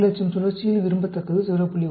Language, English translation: Tamil, The desirability at 400,000 cycle is 0